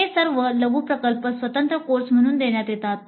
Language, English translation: Marathi, These are all mini projects offered as separate courses